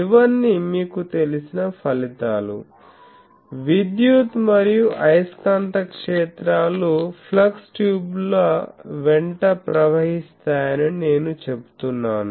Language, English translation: Telugu, These are all these results you know; just I am saying it that the electric and magnetic fields are transported along the flux tubes